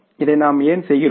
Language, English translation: Tamil, Why do we do this